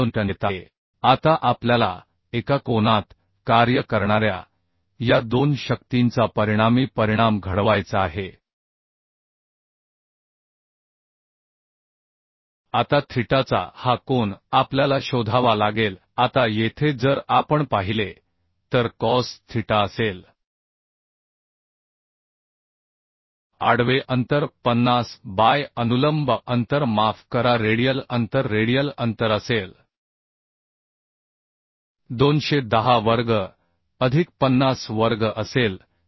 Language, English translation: Marathi, 15 kilonewton Now we have to make resultant resultant will be of these two forces acting at a angle of theta now this angle of theta we have to find out Now here if we see cos theta will be will be horizontal distance 50 by vertical distance sorry radial distance radial distance will be 210 square plus 50 square so this will be 0